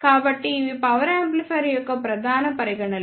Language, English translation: Telugu, So, these are the main considerations of power amplifier